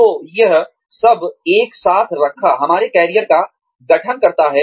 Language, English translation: Hindi, So, all of this, put together, constitutes our career